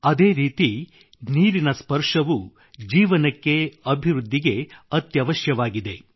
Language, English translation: Kannada, Similarly, the touch of water is necessary for life; imperative for development